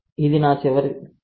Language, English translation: Telugu, So, this is my last class